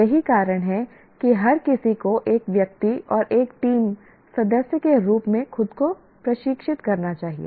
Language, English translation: Hindi, That is the reason why everyone should train himself or herself both as an individual and as a team member